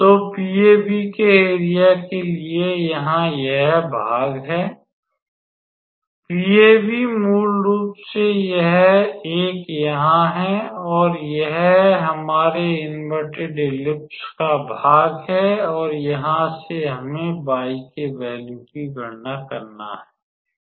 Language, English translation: Hindi, So, for area of PAB here this is the part of so, PAB is basically this 1 here and this is the part of our inverted ellipse and from here we have to calculate the value of y actually